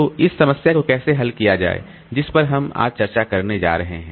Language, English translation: Hindi, So, how to address this problem that we are going to discuss today